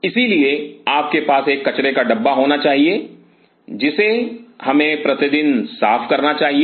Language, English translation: Hindi, So, you should have a trash which we should be clean everyday